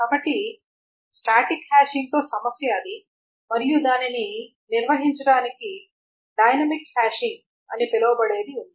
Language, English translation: Telugu, So that is a problem with static hashing and to handle that there is something called a dynamic hashing